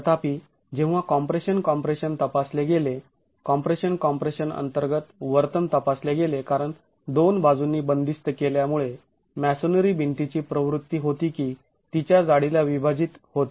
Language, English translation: Marathi, However, when compression compression was examined, behavior under compression compression was examined, the tendency of the, because of the confinement from two sides, the tendency of the masonry wall was to split along its thickness